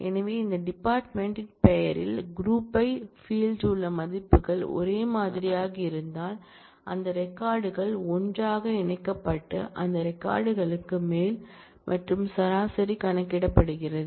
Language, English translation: Tamil, So, what it does is if the values in the group by field in this case department name are identical those records are put together and over those records and average is computed